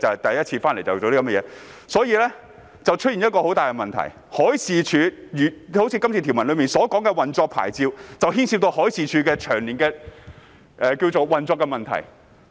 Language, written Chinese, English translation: Cantonese, 當中出現了一個很大的問題，就是《條例草案》條文提及的運作牌照，牽涉到海事處長年的運作問題。, A serious problem was exposed that is the operating licence mentioned in the Bill which involves MDs operation problem over the years